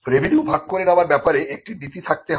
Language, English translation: Bengali, There has to be a statement on revenue sharing